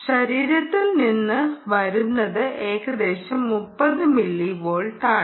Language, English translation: Malayalam, you will get typically thirty millivolts